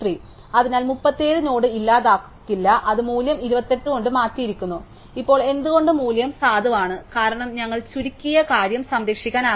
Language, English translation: Malayalam, So, 37 the node is not be deleted, it is value has been replace by 28, now why is the valid valid, because we want to preserve the shorted thing